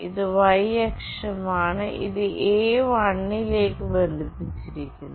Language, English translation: Malayalam, This is y axis this one is connected to A1